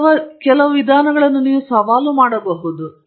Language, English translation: Kannada, Basically, you can challenge the method